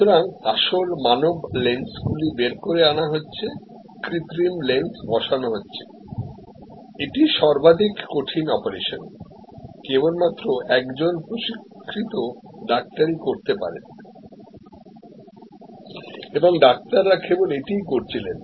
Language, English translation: Bengali, So, original human lens taken out, the artificial lens inserted, this is the most critical operation could only be performed by a trained doctor and the doctor therefore, did only this